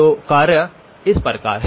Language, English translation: Hindi, So the task is as follows